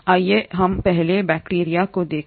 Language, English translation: Hindi, Let us look at bacteria first